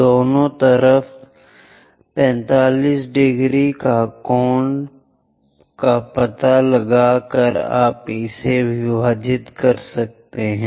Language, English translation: Hindi, Locate 45 degree angle on both sides join it by a line